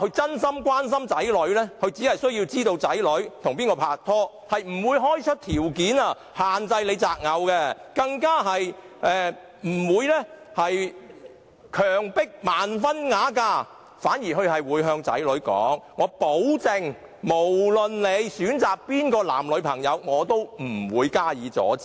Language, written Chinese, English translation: Cantonese, 真心關心子女的好父母，只需知道子女跟誰人拍拖，而不會開出條件，限制他們擇偶，更不會強迫他們盲婚啞嫁；他們反而會向子女保證，無論選擇誰人作為男、女朋友，也不會阻止。, Good parents who truly care about their children only need to know who their children are dating . They will not set conditions to restrain their choice of spouse; neither will they force their children into prearranged marriage . Instead they will assure their children that they will not interfere in their choice of boyfriend or girlfriend